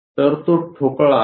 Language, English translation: Marathi, So, that is the block